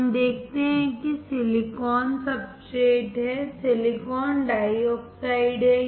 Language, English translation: Hindi, We see there is silicon substrate and there is silicon dioxide